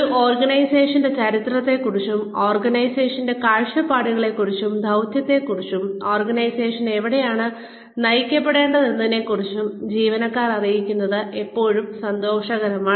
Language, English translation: Malayalam, It is always nice to inform employees, about the history of an organization, about the vision and mission of the organization, and about where the organization might be headed